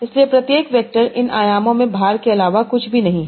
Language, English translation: Hindi, So each vector is nothing but a distribution of weights across these dimensions